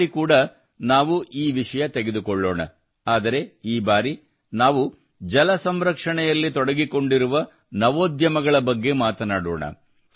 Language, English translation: Kannada, This time also we will take up this topic, but this time we will discuss the startups related to water conservation